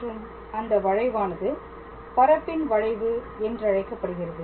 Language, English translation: Tamil, And that curve is basically called as a curve in space